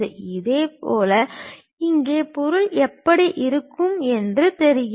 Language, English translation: Tamil, Similarly, here it looks like this is the way the object might look like